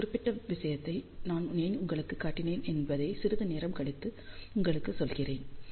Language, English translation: Tamil, I will tell you little later why I have shown you this particular thing, but let us plot these thing